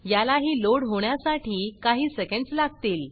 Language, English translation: Marathi, This also takes a little bit of time, a few seconds to load